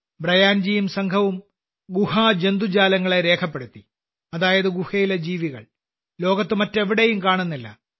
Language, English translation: Malayalam, Brian Ji and his team have also documented the Cave Fauna ie those creatures of the cave, which are not found anywhere else in the world